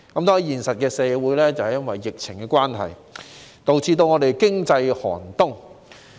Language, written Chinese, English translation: Cantonese, 在現實社會裏，由於疫情關係，香港經濟亦出現寒冬。, In social reality Hong Kongs economy is likewise experiencing a bitter winter owing to the epidemic